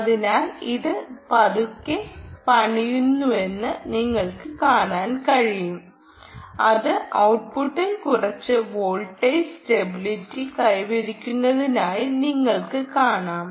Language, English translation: Malayalam, there you are, so you can see slowly it is building, um, and you will see that it has stabilized to some voltage at the output